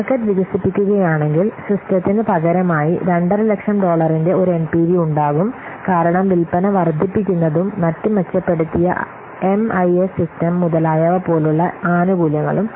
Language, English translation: Malayalam, If the market expands replacing the system will have an NPV of $2,000 due to the benefits of handling increased sales and other benefits such as what enhanced MIS system, etc